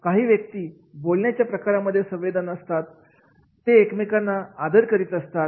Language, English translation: Marathi, Some sensitive in the way they talk, they respect each other